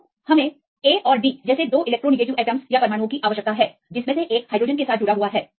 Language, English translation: Hindi, So, we need two electronegative atoms like this A and D; one is attached with hydrogen